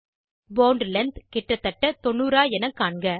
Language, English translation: Tamil, Ensure that Bond length is around 90